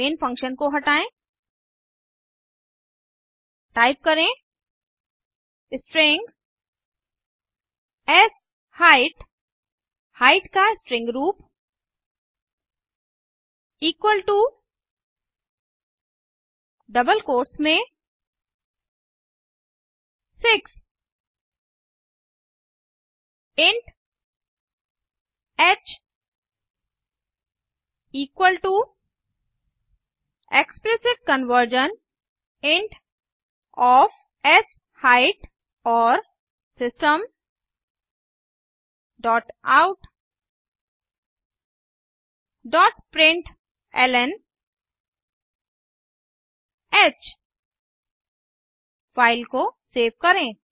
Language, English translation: Hindi, Clean up the main function type String sHeight string form of Height equal to in double quotes 6 int h equal to explicit conversion int of sHeight and System dot out dot println h Save the file